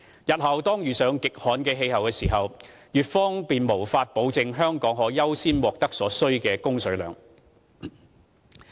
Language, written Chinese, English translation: Cantonese, 日後當遇上極旱的氣候時，粵方便無法保證香港可優先獲得所需的供水量。, If Hong Kong runs into an extremely dry climate someday the Guangdong side cannot guarantee that Hong Kong has priority in obtaining the water it needs